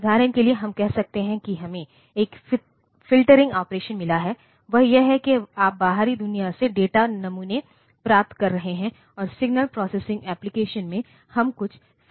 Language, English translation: Hindi, For example, we can say that we have got the one filtering operation that is you are getting the data samples from the outside world and in a signal processing application, we are doing some filtering and all that